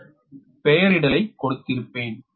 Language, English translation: Tamil, I have given the nomenclature, right